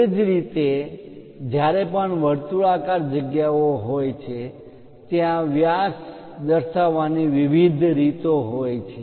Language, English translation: Gujarati, Similarly, whenever circular features are there, there are different ways of showing diameter